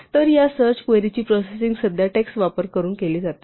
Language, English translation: Marathi, So, most of this search query processing currently is done using text